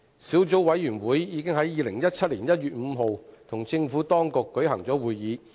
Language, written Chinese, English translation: Cantonese, 小組委員會已在2017年1月5日與政府當局舉行會議。, The Subcommittee held a meeting with the Administration on 5 January 2017